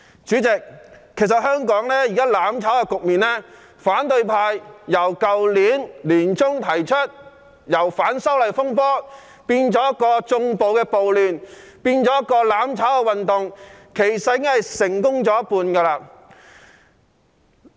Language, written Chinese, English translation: Cantonese, 主席，香港現時"攬炒"的局面，自反對派去年年中開始將反修例風波變成縱容暴力的亂局，再變成一項"攬炒"運動，至今已經成功了一半。, Chairman the current trend of mutual destruction in Hong Kong started in mid - 2019 when the opposition camp turned the disturbance arising from the opposition to the proposed legislative amendments into a chaotic situation condoning violence . It then further morphed into a mutual destruction movement and is now half done